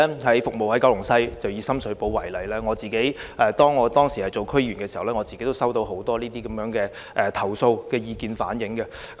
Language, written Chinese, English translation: Cantonese, 我服務九龍西，以深水埗為例，當我擔任區議員時，已收到很多這類投訴及意見。, I serve Kowloon West . Let me take Sham Shui Po as an example . While serving as a District Council member I received a lot of complaints and comments of this kind